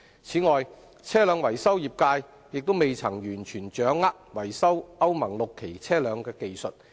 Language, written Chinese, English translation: Cantonese, 此外，車輛維修業界亦未完全掌握維修歐盟 VI 期車輛的技術。, In addition the vehicle maintenance trade has yet to master the skills for repairing Euro VI vehicles